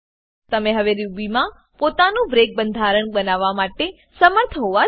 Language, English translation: Gujarati, Now you should be able to create your own break construct